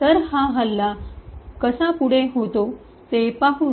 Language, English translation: Marathi, So, let us see how this attack proceeds